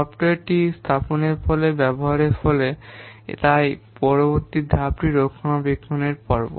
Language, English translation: Bengali, After the software is put into use, after it is deployed, so next phase is maintenance phase